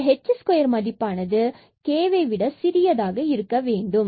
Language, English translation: Tamil, This h square is smaller than the k